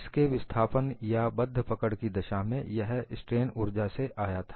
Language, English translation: Hindi, In the case of a constant displacement or fixed grips, it was coming from the strain energy